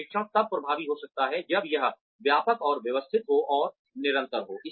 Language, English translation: Hindi, Training can be effective, only when it is comprehensive, and systematic, and continuous